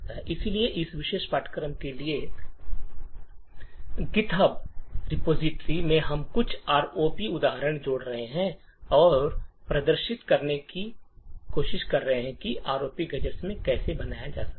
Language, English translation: Hindi, So, in the github repo for this particular course we would be adding some ROP examples and demonstrate how ROP gadgets can be built